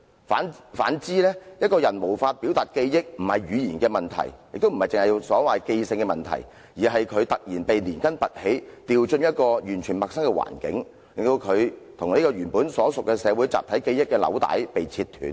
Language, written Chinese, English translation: Cantonese, 反之，一個人無法表達記憶，不是語言的問題，亦不是記性的問題，而是因為他"突然被連根拔起丟進一個完全陌生的環境"，令到他"與原本所屬社會的集體記憶的紐帶被切斷了"。, On the contrary an individuals failure to depict what is in his memory has nothing to do with his language or memory abilities . The reason is he is suddenly uprooted and thrown into a totally unfamiliar environment thus resulting in the severing of his link with his collective memory associated with the community to which he originally belonged